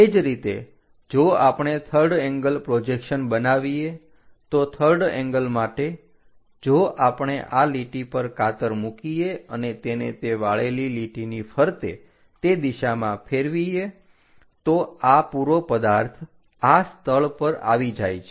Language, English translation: Gujarati, For third angle thing if we are making a scissor in this line and flip it a folding line around that direction, this entire object comes to this location